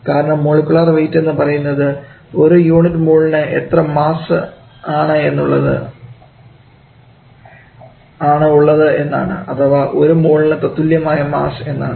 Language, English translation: Malayalam, For that component because molecular rate is defined as the mass per unit mole or the mass corresponding to one mole, so molecular weight can be denoted by this way